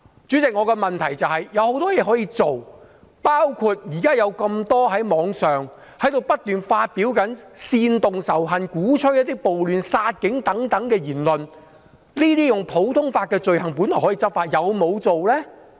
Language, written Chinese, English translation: Cantonese, 主席，我的質詢是，政府有很多事情可以做，包括現時有這麼多在網上不斷發表煽動仇恨、鼓吹暴亂、殺警等言論，這些普通法下的罪行本來是可以執法的，但是否有做呢？, President I have this question . There are many things the Government can do . For instance there has been so much hate speech fanning riots and the killing of police officers published unceasingly on the Internet and these are crimes for which enforcement actions can be taken under common law